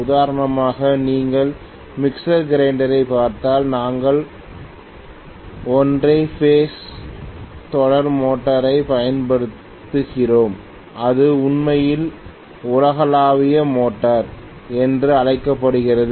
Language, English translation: Tamil, So for example, if you look at mixer grinder, we use a single phase series motor which is actually known as universal motor